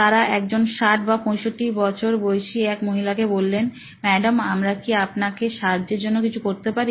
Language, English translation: Bengali, So, they called up a lady in her 60’s, mid 60’s maybe and they said, ‘Ma’am, can we do something to help you